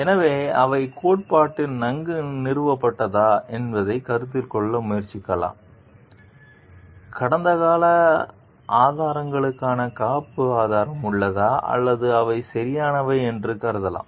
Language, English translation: Tamil, So, without trying to consider whether, they are very well founded in theory whether, do they have backup support for past evidences or they are can be considered right